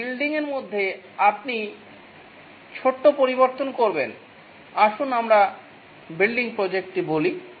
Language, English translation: Bengali, In a building, you make small alterations, let's say building project